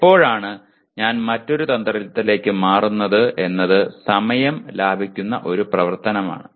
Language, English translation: Malayalam, When do I switch over to another strategy is a very very time saving activity